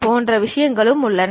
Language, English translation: Tamil, There are other varieties also